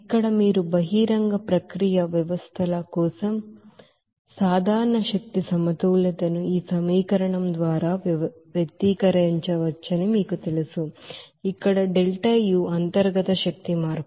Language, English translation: Telugu, Here this you know general energy balance for an open process systems can be expressed by this equation where deltaU is the internal energy change